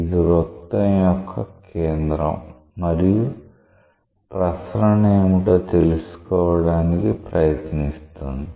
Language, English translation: Telugu, This is the center of the circle and is trying to find out what is the circulation